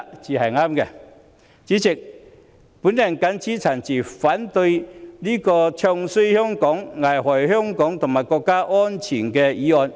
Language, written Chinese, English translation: Cantonese, 代理主席，我謹此陳辭，反對這項"唱衰"香港、危害香港和國家安全的議案。, With these remarks Deputy President I oppose this motion which discredits Hong Kong and jeopardizes the safety of Hong Kong and of our country